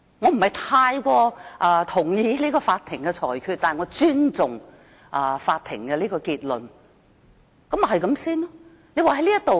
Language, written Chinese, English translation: Cantonese, 我不太認同法庭的裁決，但我尊重法庭的結論，事情應就此完結。, I do not quite agree with the verdict handed down by the Court but I respect the conclusion of the Court . The matter should come to an end